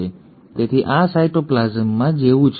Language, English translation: Gujarati, So this is like in the cytoplasm